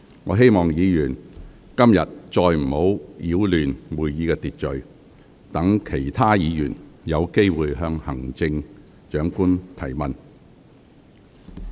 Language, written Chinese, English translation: Cantonese, 我希望議員今天不要再次擾亂會議秩序，讓其他議員有機會向行政長官提問。, I hope Members will not disrupt the order of the meeting again today so that other Members will have the opportunity to ask the Chief Executive questions